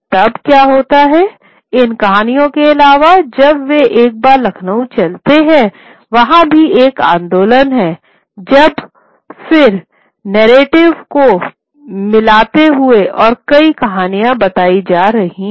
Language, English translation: Hindi, Now what happens then is there is an addition to these stories when once I move to Lucknow there is a movement of also narratives again mixing themselves and new stories being told